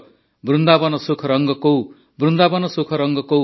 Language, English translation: Odia, Vrindavan sukh rang kau, Vrindavan sukh rang kau